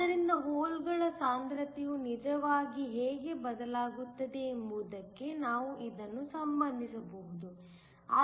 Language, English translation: Kannada, So, we can relate this to how the concentrations of holes actually change